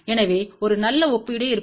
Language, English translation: Tamil, So, that there will be a good comparison